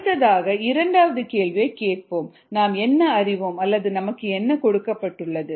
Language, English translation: Tamil, so let us ask the second question: what is known or given